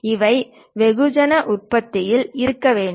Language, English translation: Tamil, This have to be mass production to be done